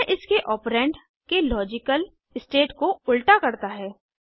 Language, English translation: Hindi, It inverses the logical state of its operand